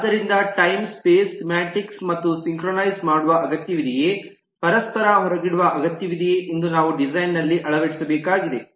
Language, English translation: Kannada, so the time space semantics also will have to look into whether there is a need for synchronizing, whether there is a need for mutual exclusion that we need to put to in the design